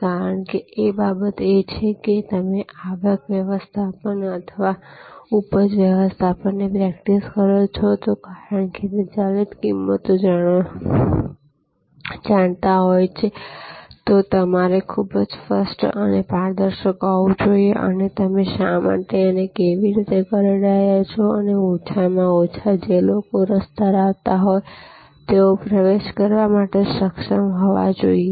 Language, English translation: Gujarati, Because, one thing is that if you practice revenue management or yield management as it is know variable pricing you have to be very clear and transparent and that why and how you are doing this and at least people who are interested they should be able to access your methodology